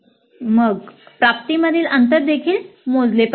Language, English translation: Marathi, Then the gap in the attainment should also be computed